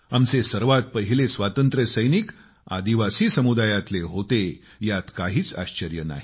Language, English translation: Marathi, There is no wonder that our foremost freedom fighters were the brave people from our tribal communities